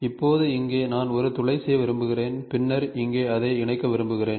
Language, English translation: Tamil, So, now so here I want to make a hole, here I want to make a hole and then here I want it to fasten